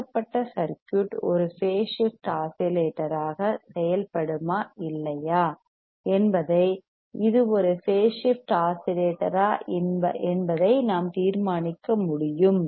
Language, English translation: Tamil, Same way we can determine if it is a phase shift oscillator, whether the given circuit will work as a phase shift oscillator or not